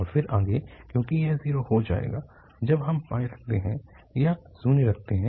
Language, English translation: Hindi, And then further because this will become zero, when we put pi or we put zero